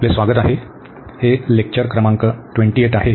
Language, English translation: Marathi, So, welcome back, this is lecture number 28